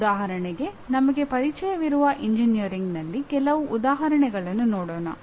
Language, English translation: Kannada, For example, let us look at some examples in engineering that we are familiar with